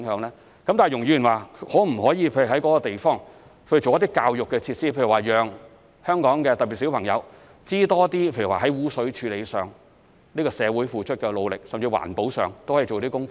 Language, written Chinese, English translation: Cantonese, 然而，容議員說可否在那個地方做一些教育設施，例如讓香港市民——特別是小朋友——多認識社會對污水處理付出的努力，甚至在環保上都可以做些工夫？, That said Ms YUNG asked whether some educational facilities could be provided in the location to for example allow the people of Hong Kong especially children to learn more about the efforts made by society in terms of sewage treatment and even to do something about environmental protection